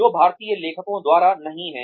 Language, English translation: Hindi, By authors, who are not Indian